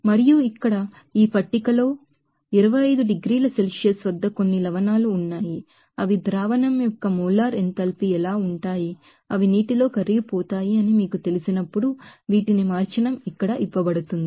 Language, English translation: Telugu, And here in this tables, there are some salts at 25 degree Celsius how they are molar enthalpy of the solution, when they will be you know dissolve in water it changing these are given here